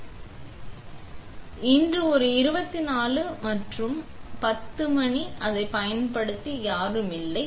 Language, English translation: Tamil, So, today is a 24 and it is 10 AM and there is nobody using it